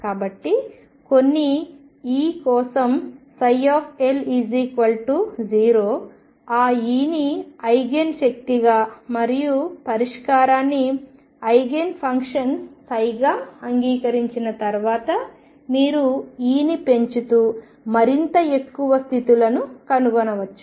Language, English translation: Telugu, So, if psi L is equal to 0 for some E accept that E as the Eigen energy and the solution psi as Eigen function and then you can keep increasing E and find more and more and more states